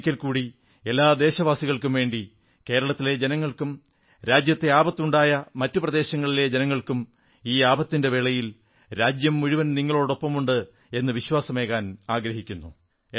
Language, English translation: Malayalam, Once again on behalf of all Indians, I would like to re assure each & everyone in Kerala and other affected places that at this moment of calamity, the entire country stands by them